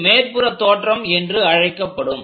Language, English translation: Tamil, This is what we call top view